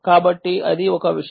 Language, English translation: Telugu, so that is one thing